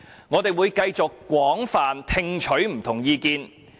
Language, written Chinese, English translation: Cantonese, 我們會繼續廣泛聽取不同的意見。, We will continue to listen to different views from various sectors